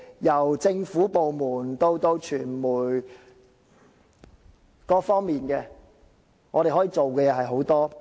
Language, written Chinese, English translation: Cantonese, 由政府部門以至傳媒等各方面，可以做到的事情其實是有很多的。, From the Government to the mass media there are actually a lot of things that they can do